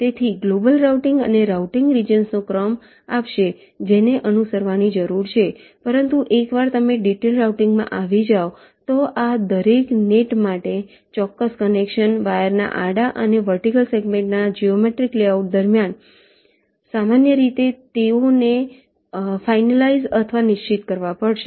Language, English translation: Gujarati, so global routing will give you the sequence of routing regions that need to be followed, but once you are in the detailed routing step, for each of these nets, the exact connection, the geometrical layouts of the wires, horizontal and vertical segments